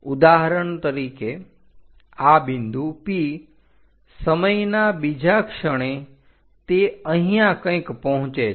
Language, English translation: Gujarati, For example, this P point, next instant of time reaches to somewhere there